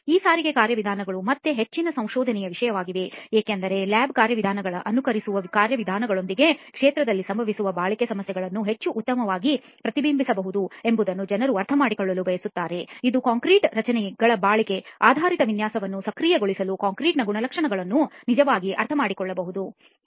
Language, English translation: Kannada, Now transport mechanisms are again a topic of much research because people want to understand how best to reflect durability problems that happen in the field with simulated mechanisms of lab procedures that can actually understand the characteristics of the concrete for enabling durability based design of concrete structures